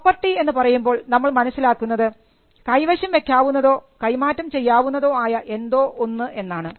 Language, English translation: Malayalam, By property we understand as something that can be possessed, and something that can be transferred